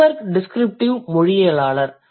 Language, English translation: Tamil, Greenberg falls in the category of the descriptive linguists